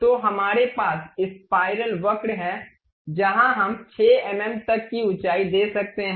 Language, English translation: Hindi, So, we have the spiral curve where we can really give height up to 6 mm